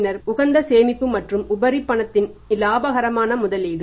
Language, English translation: Tamil, Then is the optimum savings and gainful investment of surplus cash